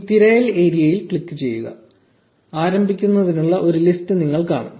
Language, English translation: Malayalam, Just click on this search area and you will see a list to start with